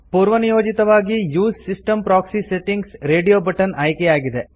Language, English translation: Kannada, By default, the Use system proxy settings radio button is selected